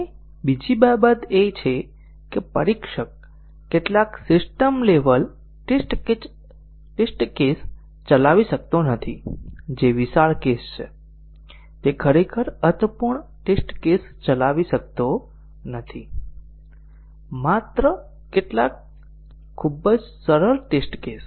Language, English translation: Gujarati, And the second thing is that the tester cannot really run the system level test cases that is huge cases it cannot really run meaningful test cases, only some very simple test cases